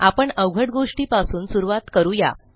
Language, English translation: Marathi, And we will start with the hard one